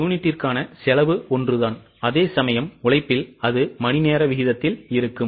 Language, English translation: Tamil, The cost per unit is same whereas in labour it had fallen hourly rate